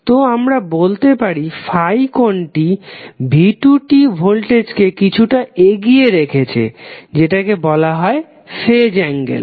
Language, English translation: Bengali, So, what we can say that the angle that is 5 is giving some leading edge to the voltage v2 and that is called our phase angle